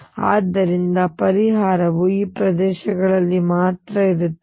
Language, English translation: Kannada, So, solution would exist only in these regions